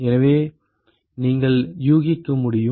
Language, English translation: Tamil, So, you could guess